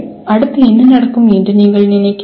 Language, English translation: Tamil, What do you think would happen next …